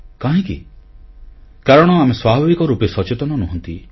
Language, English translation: Odia, Because by nature, we are not conscious